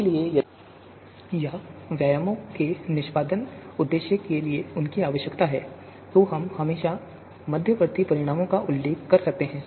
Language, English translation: Hindi, So if we need them for our research purpose or execution purpose for businesses, then we can always refer to the intermediate results